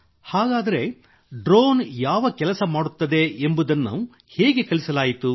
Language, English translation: Kannada, Then what work would the drone do, how was that taught